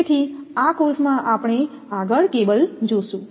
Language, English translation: Gujarati, So, in this course we will see next the cable